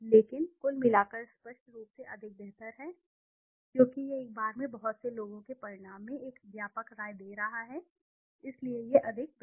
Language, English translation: Hindi, But aggregate is obviously more preferable because it is giving a wide opinion in a result of too many people at one go, so that is more preferable